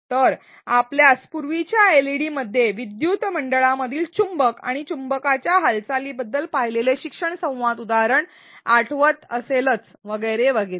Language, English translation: Marathi, So, you may recall the learning dialog example that we saw in a previous LeD about a magnet and movement of a magnet in a circuit and so on